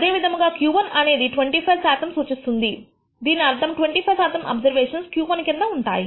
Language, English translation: Telugu, Similarly, Q 1 represents the 25 percent value which means 25 percent of the observations fall below Q 1